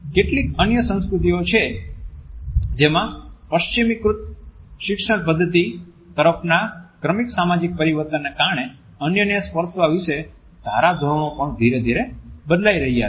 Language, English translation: Gujarati, There are certain other cultures in which because of the gradual social changes towards a westernized education pattern norms about touching others are also changing gradually